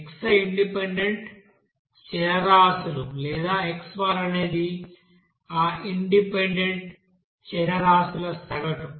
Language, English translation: Telugu, xi is the independent variables or x bar is the average of that independent variables